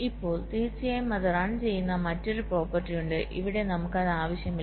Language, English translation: Malayalam, now of course there is some other property where it runs, so so here we are not wanting it now